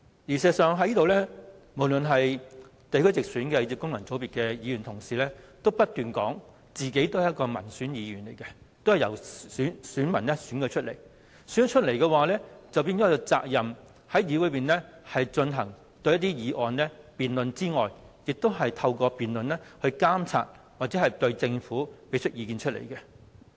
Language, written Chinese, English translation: Cantonese, 事實上，無論是地區直選或是功能界別的同事，都不斷表示自己是民選議員，都是由選民選舉出來，他們有責任在議會內就議案進行辯論，透過辯論監察政府或向政府提出意見。, As a matter of fact Members returned either by geographical constituencies or functional constituencies all claim to be elected by the people and they have the duty to debate motions in this Chamber through which they can monitor or advise the Government